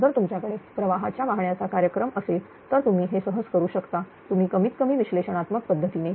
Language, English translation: Marathi, If you have a if you have a load flow program you can easily make it; you at least using analytical method